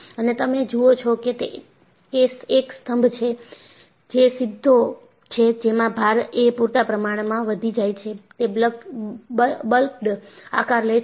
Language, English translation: Gujarati, And, you see that a column, which was straight, when the load is sufficiently increased, it has taken a buckled shape